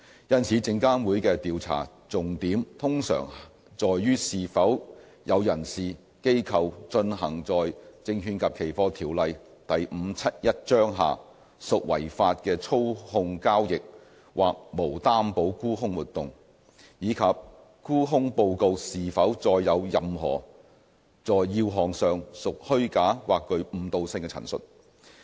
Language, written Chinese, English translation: Cantonese, 因此，證監會的調查重點通常在於是否有人士/機構進行在《證券及期貨條例》下屬違法的操縱交易或無擔保沽空活動，以及沽空報告是否載有任何在要項上屬虛假或具誤導性的陳述。, SFC investigations therefore usually focus on whether there has been any manipulative trading or naked short selling which is illegal under the Securities and Futures Ordinance Cap . 571 SFO and whether the short seller report contained any materially false or misleading statements